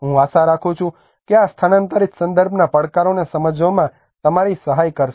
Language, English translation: Gujarati, I hope this will help you in understanding the challenges in the relocation contexts